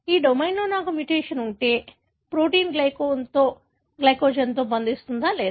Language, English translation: Telugu, If I have a mutation in this domain, would the protein bind to glycogen or not